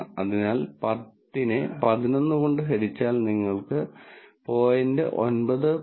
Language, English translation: Malayalam, So, 10 divided by 11 and you will get this number 0